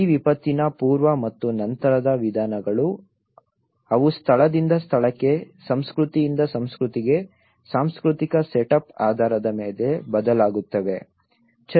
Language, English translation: Kannada, These pre and post disaster approaches they vary with from place to place, culture to culture based on the cultural setup